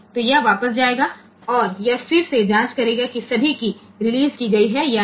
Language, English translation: Hindi, So, it will go back and it will again check whether all keys are released or not